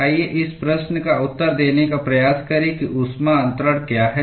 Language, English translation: Hindi, Let us try to answer this question as to what is heat transfer